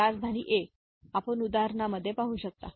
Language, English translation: Marathi, So, capital A you can see the in the example